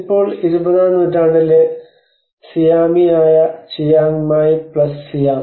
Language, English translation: Malayalam, And now the Chiang Mai plus Siam which is the Siamese on the 20th century